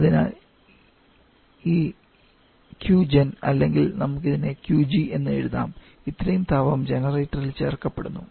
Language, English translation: Malayalam, It is adding heat to this so this Q gen or let us write a Qg amount of heat is being added to the generator